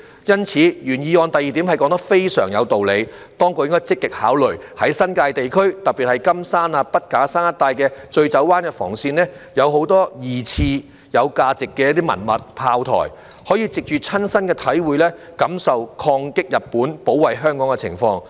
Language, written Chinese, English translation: Cantonese, 因此，原議案第二點說得非常有道理，當局應該積極考慮，在新界地區，特別是金山、筆架山一帶的醉酒灣防線，有很多二次大戰時期有價值的文物、炮台，可以藉着親身的體會，感受抗擊日本、保衞香港的情況。, Hence the second point of the original motion which is very sensible should be actively considered by the authorities . In the New Territories especially at the Gin Drinkers Line around Kam Shan and Beacon Hill there are many valuable relics and forts left over from the Second World War through which one can personally feel what it was like in fighting against Japan and defending Hong Kong